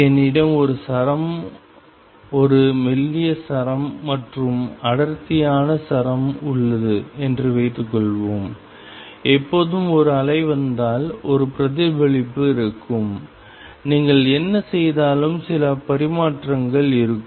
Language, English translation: Tamil, Suppose, I have a string a thin string and a thick string and what we find is; if there is a wave coming in always there will be a reflection and there will be some transmission no matter what you do